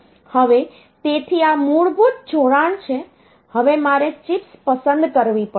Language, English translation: Gujarati, Now, so this is the basic connection now I have to select the chips